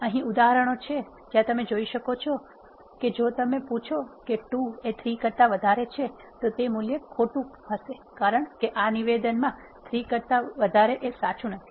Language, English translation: Gujarati, There are examples where you can see if you ask 2 is greater than 3 it will true a value false because this statement to greater than 3 is not true